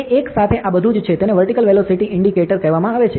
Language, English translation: Gujarati, So, it is something all like this with a, it is called as a vertical velocity indicator and all